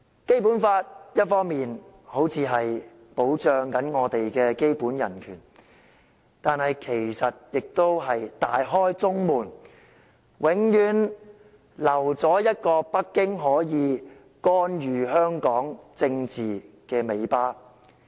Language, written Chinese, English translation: Cantonese, 《基本法》一方面看似保障我們的基本人權，但其實亦是"大開中門"，永遠留下一條讓北京可以干預香港政治的尾巴。, On the one hand the Basic Law seems to protect our basic human rights yet it has left an option wide open for Beijing to be forever able to interfere with the politics in Hong Kong